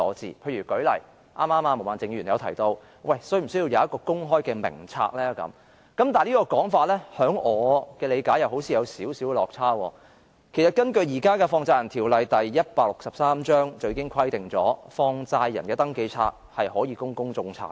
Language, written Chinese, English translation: Cantonese, 舉例說，剛才毛孟靜議員提到是否需要設立公開的名冊；但根據我的理解，這說法似乎有少許落差，因為現時的香港法例第163章《放債人條例》已規定放債人的登記冊可供公眾查閱。, For instance earlier on Ms Claudia MO asked if it is necessary to put in place an open register but as far as I understand it this suggestion seems to be a bit deviated from the truth because the existing Money Lenders Ordinance Cap . 163 has already provided for the establishment of a register of money lenders for public inspection